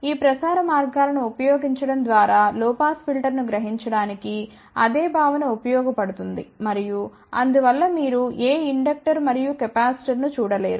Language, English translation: Telugu, The same concept is used to realize a low pass filter, by using these transmission lines and hence you do not see any inductor and capacitor